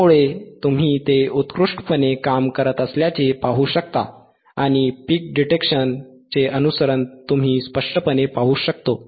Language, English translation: Marathi, So, you can see it is working excellently and you can clearly see the follow of the peak detection